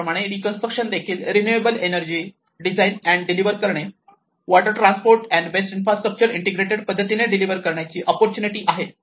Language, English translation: Marathi, Reconstruction is an important opportunity to design and deliver renewable energy, water transport, and waste infrastructure in an integrated way